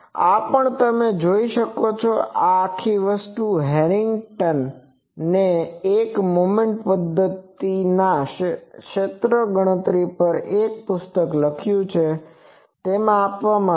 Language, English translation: Gujarati, This is also you can see that this whole thing is given Harrington has written a book on the field computation of a moment method